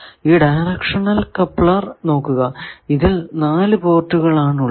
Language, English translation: Malayalam, So, this directional coupler you see it has 4 ports